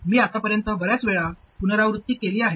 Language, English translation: Marathi, I have repeated this many times by now